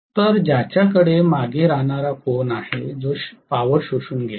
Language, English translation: Marathi, So, whichever has the lagging angle that is going to absorb the power